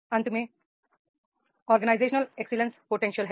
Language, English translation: Hindi, The last part is that is the organizational excellence potential